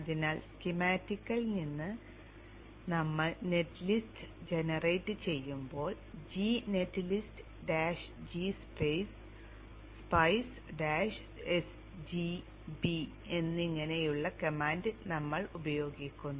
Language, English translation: Malayalam, So when we generated the net list from the schematic, we used a command like this, G netlist, dash, G, spice, sdb, so on, so on